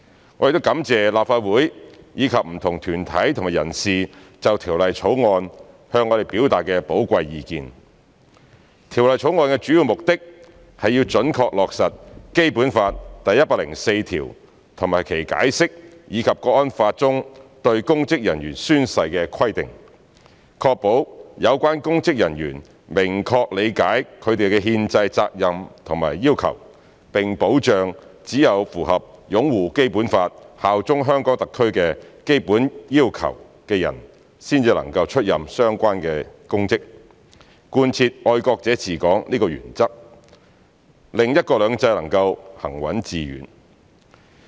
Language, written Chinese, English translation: Cantonese, 《條例草案》的主要目的，是要準確落實《基本法》第一百零四條及其《關於〈中華人民共和國香港特別行政區基本法〉第一百零四條的解釋》，以及《香港國安法》中對公職人員宣誓的規定，確保有關公職人員明確理解他們的憲制責任和要求，並保障只有符合"擁護《基本法》、效忠香港特區"的基本要求的人才能出任相關公職，貫徹"愛國者治港"這個原則，讓"一國兩制"能夠行穩致遠。, The major objective of the Bill is to accurately implement Article 104 of the Basic Law and the Interpretation of Article 104 of the Basic Law of the Hong Kong Special Administrative Region of the Peoples Republic of China as well as the provisions of the National Security Law on oath - taking by public officers so as to ensure that the public officers concerned clearly understand their constitutional responsibilities and requirements and to ensure that only those who meet the basic requirements of upholding the Basic Law and bearing allegiance to the Hong Kong Special Administrative Region HKSAR can take up the related public offices implement the principle of patriots administering Hong Kong and contribute to the steadfast and successful implementation of the one country two systems principle